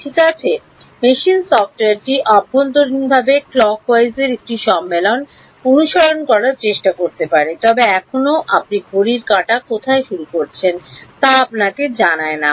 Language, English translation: Bengali, Well the machine software may internally try to follow a convention of clockwise, but clockwise still will not tell you where on the clock you are starting